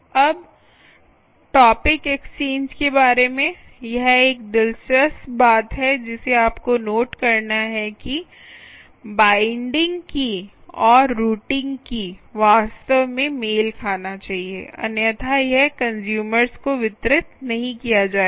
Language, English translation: Hindi, this is an interesting thing that you have to note is that the binding key and the routing should actually match, otherwise it will not get delivered to the consumers